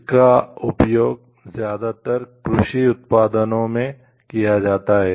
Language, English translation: Hindi, It is most commonly used in the case of agricultural products